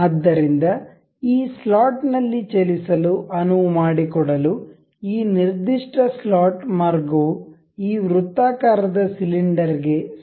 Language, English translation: Kannada, So, in order to make allow this to move into this slot this particular slot path is supposed to be tangent on this circular cylinder